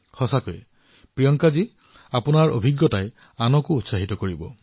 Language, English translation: Assamese, Really Priyanka ji, this experience of yours will inspire others too